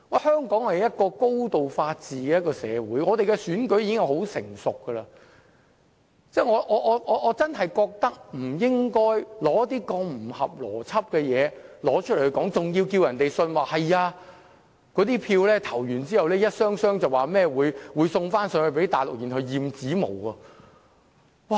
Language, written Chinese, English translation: Cantonese, 香港是高度法治的社會，我們的選舉亦已相當成熟，我認為真的不應該提出如此不合邏輯的說法，並要求大家相信在選舉結束後，一箱箱選票便會運回內地以便驗指模。, Being a society where great importance is attached to the rule of law our elections are pretty mature . I really do not consider it appropriate to make such illogical allegation just to lead us to believe that after the election boxes of ballots would be sent to the Mainland for fingerprint examination